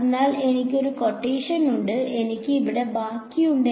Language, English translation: Malayalam, So, I have a quotient and I have a remainder over here